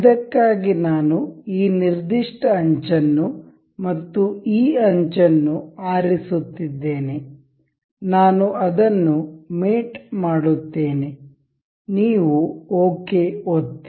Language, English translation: Kannada, For this we I am selecting the this particular edge and this edge, I will mate it up, you will click ok